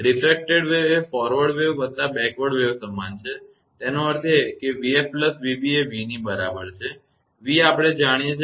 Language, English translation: Gujarati, Refracted wave is equal to forward wave plus backward wave; that means, v f plus v b is equal to v; v we know i f plus i i b is equal to i we know